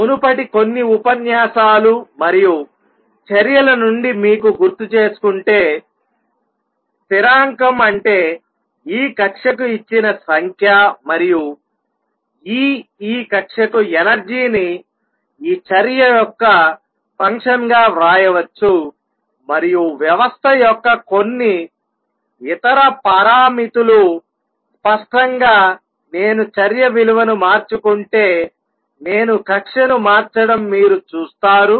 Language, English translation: Telugu, If you just recall from previous few lectures and action, therefore, is a constant is a number is a number given for this orbit and E the energy for this orbit can be written as a function of this action and some other parameters of the system; obviously, you see that if I change the action value, I will change the orbit